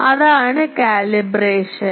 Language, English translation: Malayalam, So, that is the calibration